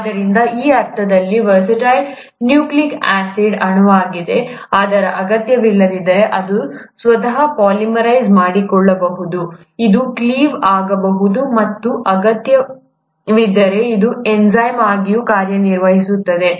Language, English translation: Kannada, So it's a very versatile nucleic acid molecule in that sense, that it not only can polymerize itself if the need be, it can cleave, and if the need be, it can also act as an enzyme